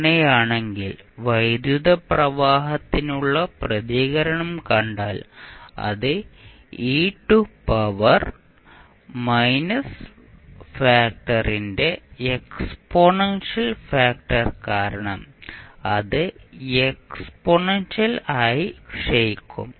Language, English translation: Malayalam, In that case if you see the response for current it would be exponentially decaying because of the exponential factor of e to power minus factor which you have